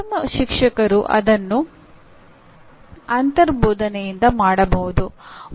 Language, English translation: Kannada, Good teachers may do it intuitively